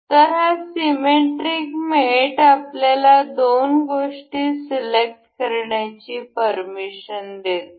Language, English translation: Marathi, So, this symmetric mate allows us to select two things